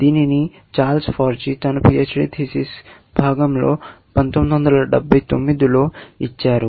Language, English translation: Telugu, It was, as I mentioned earlier, given by Charles Forgy in 1979 as a part of his PHD work